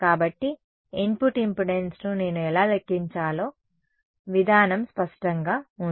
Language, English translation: Telugu, So, the procedure is clear how do I calculate the input impedance ok